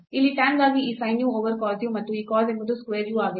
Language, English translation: Kannada, So, here a sin u over cos u for tan and this is cos is square u